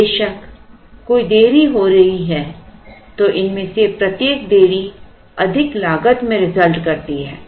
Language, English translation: Hindi, Of course, there is any delay then each of these delays is going to into result in a higher cost